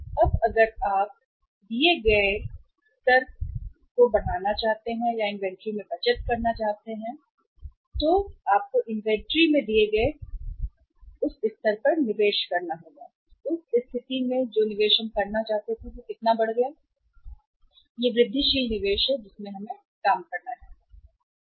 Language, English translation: Hindi, Now if you saving or making investment in the inventory at the given level now if you want to increase the investment in the inventory from the given level so in that case how much increased investment we want to make that is the incremental investment we have to work out